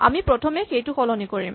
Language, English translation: Assamese, So, we first change that